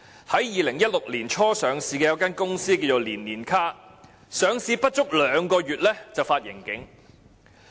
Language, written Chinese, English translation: Cantonese, 在2016年年初上市的一間名叫"年年卡"的公司，更在上市後不足兩個月便發盈警。, In a more extreme case a profit warning has been issued for a company named NNK Group Limited in less than two months after its listing at the beginning of 2016